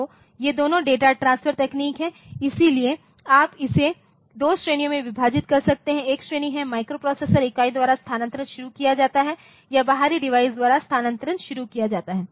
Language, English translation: Hindi, So, both these data transfer technique so, you to you can you can divide it into 2 categories, one category is the transfer is initiated by the microprocessor unit or the transfer is initiated by the external device